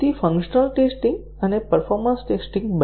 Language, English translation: Gujarati, So, both functional testing and the performance testing